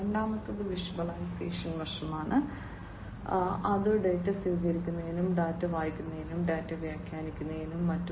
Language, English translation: Malayalam, Second is the visualization aspect, which is about receiving the data, reading the data, interpreting the data and so on